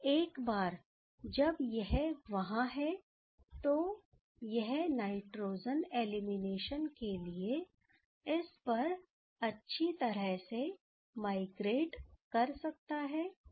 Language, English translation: Hindi, Now, once it is there, then this can nicely migrate over this for the nitrogen elimination